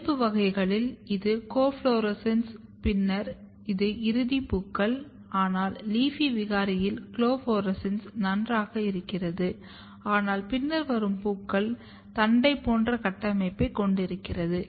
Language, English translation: Tamil, So, in wild type you have this co florescence and then you have this final flowers, but in case of leafy mutant the co florescence are fine, but the later flowers which are basically getting converted like shoot like structure